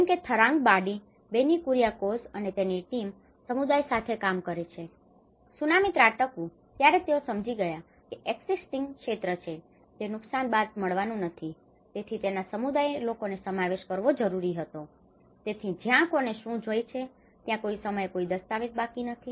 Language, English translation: Gujarati, Like for instance in Tharangambadi, Benny Kuriakose and his team, they work with the communities, they understood even when the Tsunami have struck they did not even get the area of which has been damaged, I mean which was an existing, so they need to involve the community people and so that is where who wants what, there is no documents left over sometime